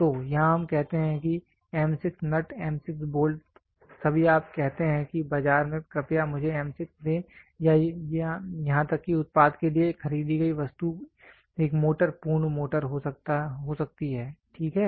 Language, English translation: Hindi, So, here we say M 6 nut, M 6 bolt all you go say in the market is please give me M 6 or even a bought out item for the product can be a motor complete motor, ok